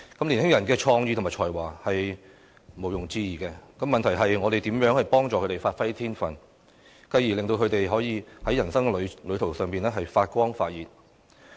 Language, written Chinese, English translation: Cantonese, 年輕人的創意和才華是毋庸置疑的，問題是，我們怎樣協助他們發揮天分，繼而令他們可以在人生旅途上發光發熱？, The young people are undoubtedly talented and creative . The question is how we can help them develop their talents to let them shine and thrive in their life journey